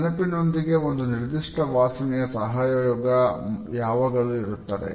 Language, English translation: Kannada, The association of a particular smell with memory is always there